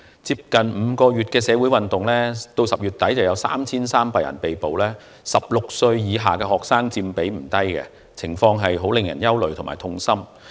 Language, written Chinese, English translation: Cantonese, 在近5個月來的社會運動中，截至10月底已有3300人被捕，而16歲以下學生所佔的比率不低，情況令人憂慮和痛心。, In the social movement in the past five months 3 300 people have been arrested as at the end of October and the percentage of students under 16 in the total number of arrestees is not low . The situation is worrying and distressing